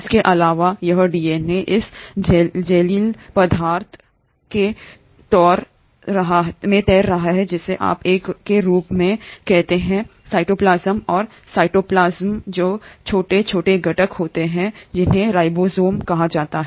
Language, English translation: Hindi, In addition, this DNA is floating in this jellylike substance which is what you call as a cytoplasm and the cytoplasm consists of tiny little components which are called as ribosomes